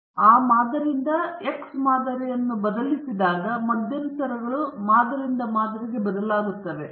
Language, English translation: Kannada, So, when x bar changes from sample to sample, the intervals also will change from sample to sample